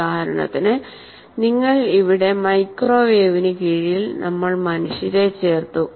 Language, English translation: Malayalam, For example, if you say here under microwave microwave we have put humans here